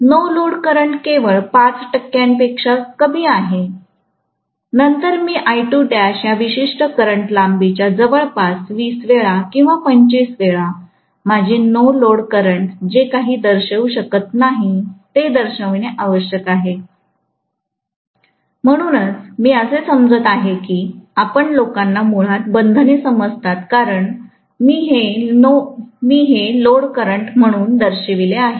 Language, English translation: Marathi, The no load current is only less than 5 percent, then I should show the length of this particular current I2 dash as almost 20 times or 25 t imes whatever is my no load current, which right now I am not able to show, so I am assuming that you guys understand basically the constraints that the reason I have shown this as the load current